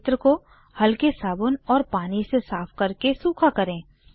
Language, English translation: Hindi, After cleaning the area with mild soap and water, wipe it dry